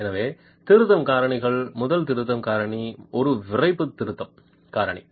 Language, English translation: Tamil, So, the correction factors, the first correction factor is a stiffness correction factor